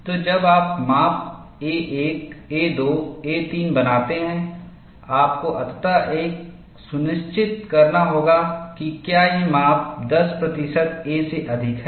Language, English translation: Hindi, So, when you make the measurements a 1, a 2, a 3, you have to ensure, finally, whether these measurements exceed 10 percent of a